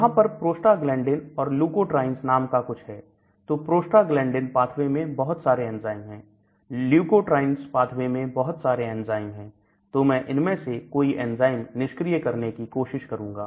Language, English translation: Hindi, There are something called prostoglanden, there are something called leukotriens, so there are many enzymes in the prostoglondin pathway, there are many enzymes in the prostaglandin pathway, there are many enzymes the leukotrient pathway so I am trying to inhibit one of those enzymes